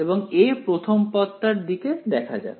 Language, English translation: Bengali, So, let us look at the first term for a